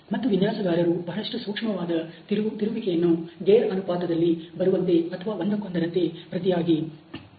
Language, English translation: Kannada, And the designer can give a very sensitive steering by having comes into gear ratio or vice versa